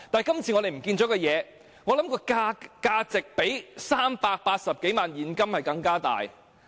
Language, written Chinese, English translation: Cantonese, 今次我們遺失的物件，我想價值較380多萬元現金更高。, I believe what we have lost this time is worth more than 3.8 million cash